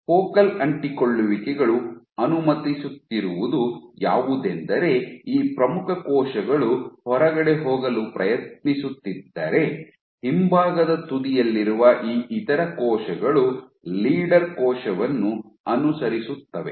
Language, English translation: Kannada, So, what the focal adhesions are allowing is this leading cells to kind of trying to go outside while these other cells at the rear end are following the leader cell so, but the other thing is